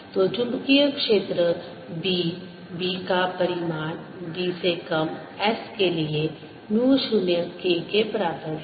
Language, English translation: Hindi, so the magnetic field b is equal to its magnitude, is equal to mu zero k for s less than b